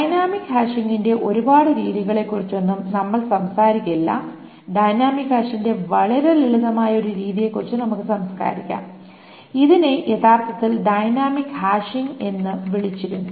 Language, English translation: Malayalam, We will not talk about many methods of dynamic hashing that we will talk about one very simple way of dynamic hashing that is called, it was originally just called dynamic hashing